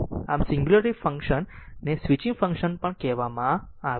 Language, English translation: Gujarati, So, singularity function are also called the switching function right